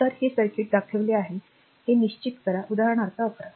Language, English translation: Marathi, So, determine this circuit is shown this is say example 11